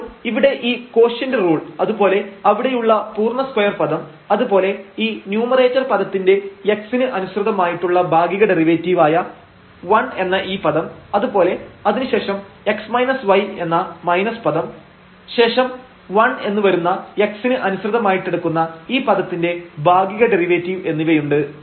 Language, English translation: Malayalam, So, this quotient rule here the whole square term there and this term as it is and the partial derivative of this numerator term with respect to x which is 1 and then we have the minus term x minus y and this partial derivative of this term with respect to x which is again 1